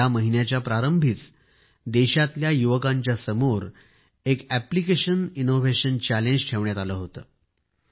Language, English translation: Marathi, At the beginning of this month an app innovation challenge was put before the youth of the country